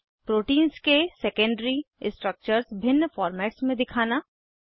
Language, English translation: Hindi, * Display secondary structure in various formats